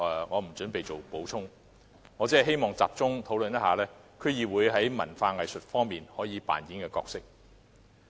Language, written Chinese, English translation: Cantonese, 我不準備在此作補充，只希望集中討論區議會在文化藝術方面可以扮演的角色。, I do not intend to make any supplement for I just wish to focus my discussion on the role DCs can play in the arts and cultural aspects